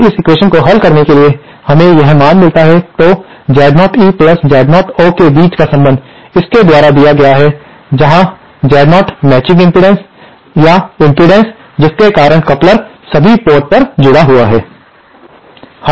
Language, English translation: Hindi, Now on solving this equation we get this value, so the relationship between Z0 E and Z0 O is given by this where Z0 is the matching impedance or the impedance to which the coupler is connected at all the ports